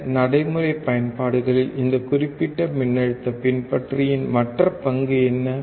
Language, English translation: Tamil, What is other role of this particular voltage follower in other practical applications, right